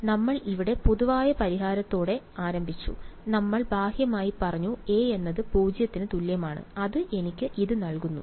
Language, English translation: Malayalam, So, we started with the general solution over here and we said physically that a is equal to 0 is the only meaningful thing and that gives me this